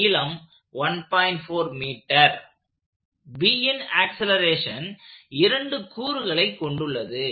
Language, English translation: Tamil, So that is the acceleration of B